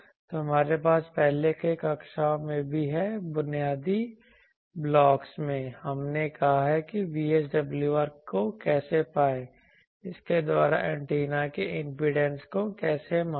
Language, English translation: Hindi, So, I will just I think all of you we have in earlier classes also, in the basic building blocks we have said how to measure VSWR by this what how to measure impedance of an antenna